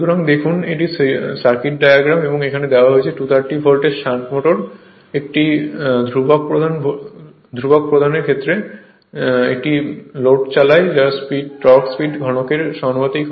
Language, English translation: Bengali, So, look this is the circuit diagram right and it is given that your what you call that 230 volt shunt motor with a constant main field drives a load whose torque is proportional to the cube of the speed